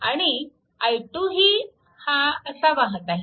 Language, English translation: Marathi, And i 3 is equal to 1